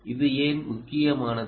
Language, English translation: Tamil, why is this important